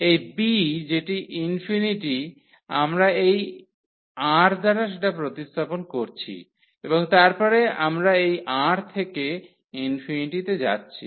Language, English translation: Bengali, So, this b which is infinity we have replaced by this R and then we are taking this R to infinity